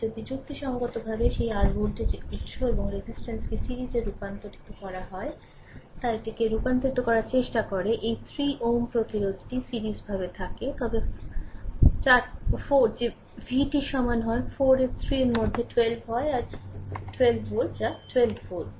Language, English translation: Bengali, If you try to convert it into the your what you call judiciously you have to make it into that your voltage source and resistance in series, the resistance this 3 ohm is in series, then 4 that v is equal to it is 4 into 3 that is your 12 volt, that is 12 volt right